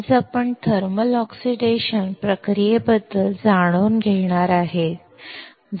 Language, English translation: Marathi, Today, we are going to learn about thermal oxidation process